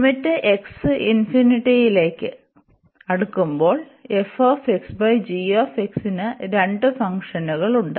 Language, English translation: Malayalam, So, the limit as x approaches to infinity of this f x over g x function